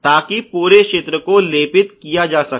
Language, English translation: Hindi, So, that the whole area can be coated occurs more